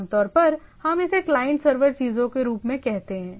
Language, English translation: Hindi, Typically, we call this as client server things